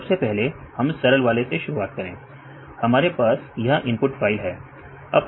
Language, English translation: Hindi, So, first one is, start from the simplest one, we have a file, this is the input file right this is the input file